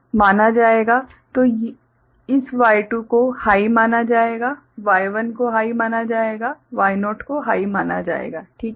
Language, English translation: Hindi, So, this Y2 will be considered as high, Y1 will be considered as high, Y naught will be considered as high, alright